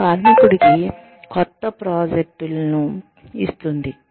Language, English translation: Telugu, It gives the worker, new projects